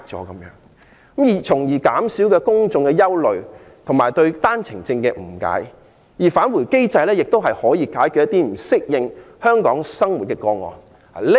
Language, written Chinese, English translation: Cantonese, 政府須減少公眾的憂慮及對單程證的誤解，並設立"返回機制"，以解決不適應香港生活的個案。, The Government should alleviate public worry and misunderstanding on OWP and set up a return mechanism to accommodate those who fail to adapt to living in Hong Kong